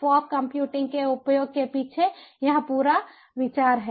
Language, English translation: Hindi, this is the whole idea behind the use of ah, ah, a fog computing